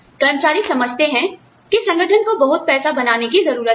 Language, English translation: Hindi, Employees understand that, the organization needs to make a lot of money